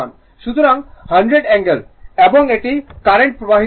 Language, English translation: Bengali, So, 100 angle and this is the current is flowing right